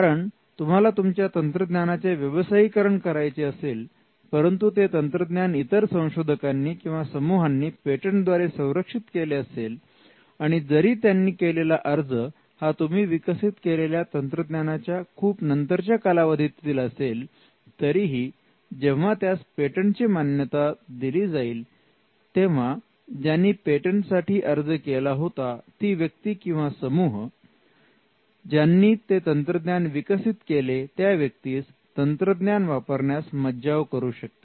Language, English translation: Marathi, Because, if your technology needs to be commercialized and that technology was protected by a patent file by another researcher or another team though the patent could have been filed much after you invent that the technology; still when the patent is granted, the patent holder can stop the person who developed the invention in the first case